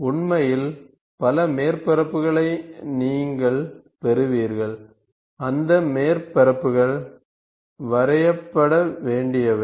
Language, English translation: Tamil, So, in reality you will have many surfaces which these surfaces has to be has to be drawn